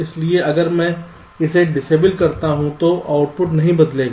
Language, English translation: Hindi, so if i disable it, then the outputs will not change